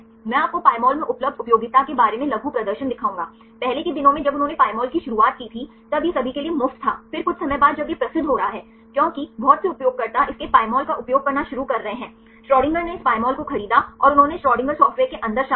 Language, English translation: Hindi, I will show you short demonstration right about the utility is available in the Pymol, in earlier days when they started the Pymol, it was free for everyone right then after sometime when it is getting famous because many users is started to use its Pymol software then the Schrodinger bought this Pymol and they incorporated inside this Schrodinger software